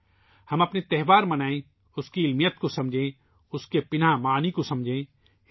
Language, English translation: Urdu, Let us celebrate our festivals, understand its scientific meaning, and the connotation behind it